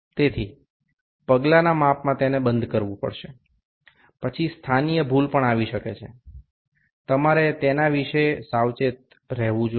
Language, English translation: Gujarati, So, in step measurement it has to be closed then positional error could also come you have to be careful about that